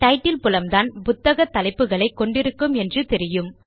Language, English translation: Tamil, And we know that the title field stores the book titles